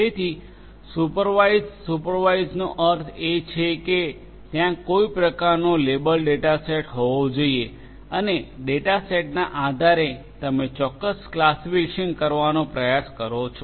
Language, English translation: Gujarati, So, supervised, supervised means that there has to be some kind of label data set and based on the data set you are trying to make certain classification